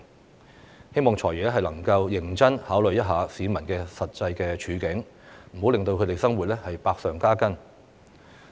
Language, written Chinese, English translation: Cantonese, 我希望"財爺"能夠認真考慮市民的實際處境，不要令他們的生活百上加斤。, I hope FS can seriously consider the actual situation of the people and do not make life even more difficult for them